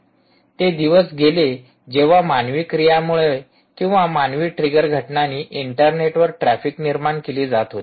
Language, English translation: Marathi, gone are the days where humans were human action or human, human triggered events was generating traffic on the internet